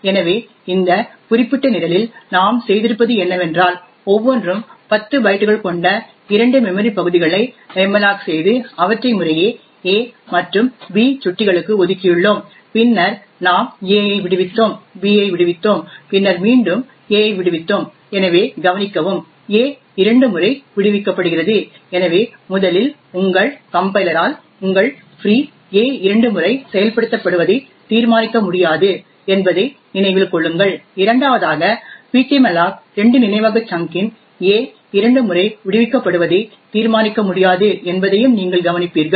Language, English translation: Tamil, So in this particular program what we have done is that we have malloc two memory regions of 10 bytes each and allocated them to pointers a and b respectively then we have freed a we have freed b and then we have feed a again, so note that a is freed twice so what can go wrong with this first of all note that your compiler will not be able to determine that your free a is invoked twice, secondly you will also notice that ptmalloc two will not be able to determine that the memory chunk a is freed twice